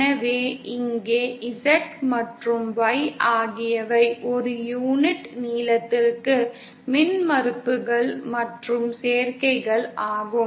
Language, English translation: Tamil, So here, Z and Y are the impedances and admittances per unit length